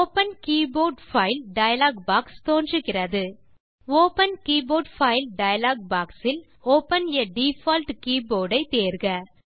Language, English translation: Tamil, The Open Keyboard File dialogue box appears In the Open Keyboard File dialogue box, select Open a default keyboard